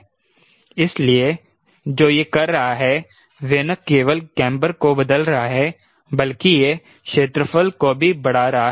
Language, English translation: Hindi, so what it is doing it is not only changing the camber, it is also increasing the area